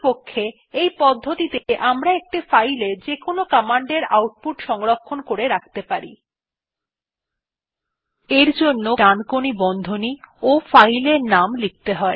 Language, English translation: Bengali, In fact we can store the output of any command in a file in this way